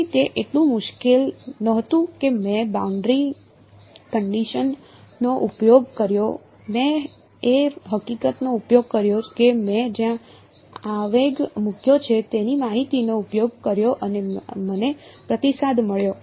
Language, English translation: Gujarati, So, it was not so difficult I used the boundary conditions, I used the fact I used the information of where I have placed the impulse and I got the response